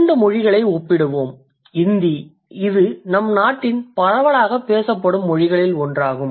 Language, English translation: Tamil, Hindi, which is one of the most widely spoken languages of our country